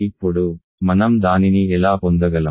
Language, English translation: Telugu, How we can get that